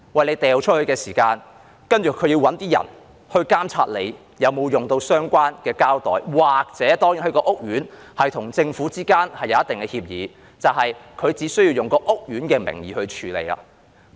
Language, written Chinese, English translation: Cantonese, 你扔垃圾的時候，他們要找人監察你有否使用相關的膠袋，又或屋苑如與政府之間有一定的協議，那便以屋苑的名義去處理。, When you put your rubbish out they will have to find someone to watch over you and see if you have used the designated plastic bags or if there is a certain agreement between the estate and the Government this will be handled by the estate itself